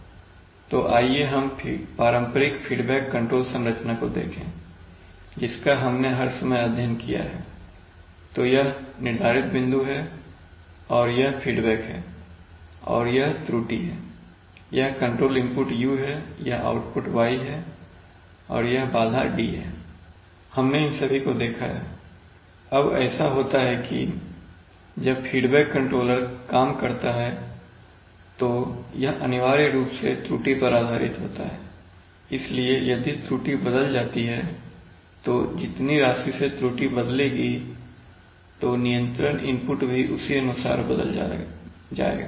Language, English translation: Hindi, Yeah so this is the set point and this is the feedback and this is the error this is the control input u, this is the output y, and this is the disturbance d, we have seen all these, now it so happens that that when does the, when does the feedback controller work, it was essentially based on the error so if the error changes and by the amount the error will change, the control input will change accordingly